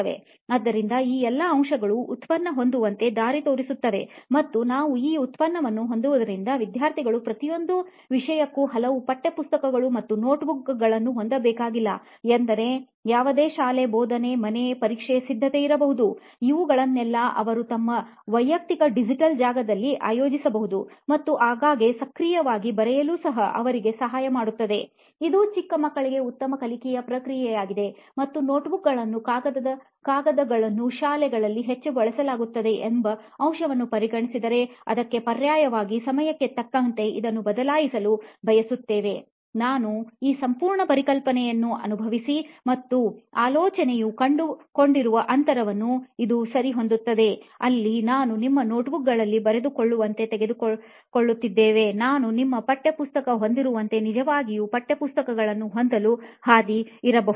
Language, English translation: Kannada, So all these factors all pitch into this product and what we are trying to do with this product is not have so many textbooks and notebooks for each subject where students can actually maintain all their notes irrespective of school, tuition, home, examination, preparation, anything they write can be organized in one personal digital space and also helps them actively write frequently helps them write also which is a good learning process for young kids and considering the fact that notebooks is majorly and heavily used in schools and paper is a material which we want to replace from a very long time but not have found a viable replacement